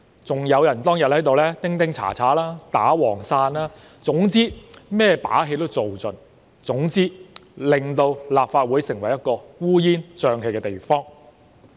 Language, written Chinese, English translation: Cantonese, 此外，當日亦有人在此敲鑼敲鼓、打黃傘，總之做盡一切把戲，令立法會變成一個烏煙瘴氣的地方。, Moreover on that day some people beat gongs and drums held yellow umbrella and played all possible tricks to turn the Legislative Council into a chaotic and messy place